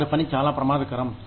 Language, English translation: Telugu, Their work is very dangerous